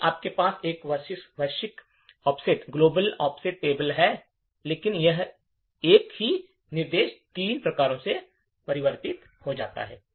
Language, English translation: Hindi, If you have a global offset table however, the same single instruction gets converted into three instructions as follows